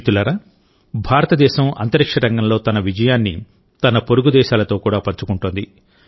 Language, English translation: Telugu, Friends, India is sharing its success in the space sector with its neighbouring countries as well